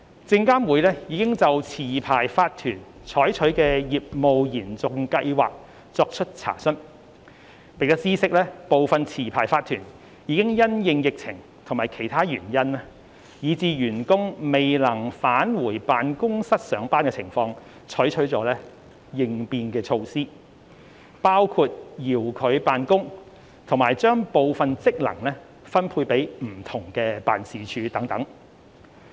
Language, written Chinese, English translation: Cantonese, 證監會已就持牌法團採取的業務延續計劃作出查詢，並知悉部分持牌法團已因應疫情或其他原因以致員工未能返回辦公室上班的情況採取了應變措施，包括遙距辦公及將部分職能分配給不同的辦事處等。, SFC has enquired licensed corporations LCs on their business continuity plans adopted and noted that some LCs had already adopted contingency measures in response to the epidemic or other reasons that had prevented employees from returning to the workplace . Specific measures include working from remote office relocating of certain functions to different offices etc